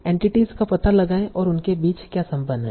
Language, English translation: Hindi, Find out the entities and what are the relations between them